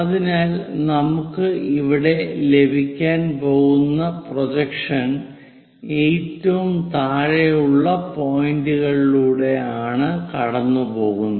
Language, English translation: Malayalam, So, the projection projections what we are going to get here goes via these bottom most points